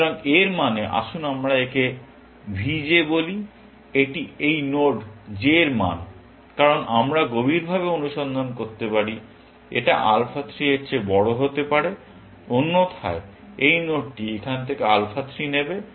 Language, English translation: Bengali, So, that means, let us call it v j, that is the value of this node j, because we may be searching deeper, must be greater than alpha 3; otherwise, this node will take alpha 3 from here